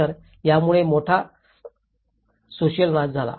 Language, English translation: Marathi, So, this has caused a huge social destruction